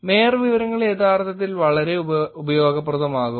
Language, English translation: Malayalam, The mayor information can be actually pretty useful